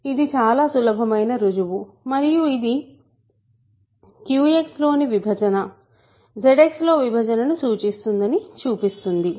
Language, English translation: Telugu, So, very simple proof right; so, this is a very simple proof and it shows that division in Q X implies division in Z X